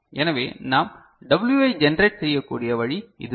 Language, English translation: Tamil, So, this is the way we can generate W